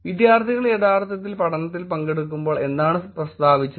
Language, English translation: Malayalam, What was stated when the students were actually participating in the study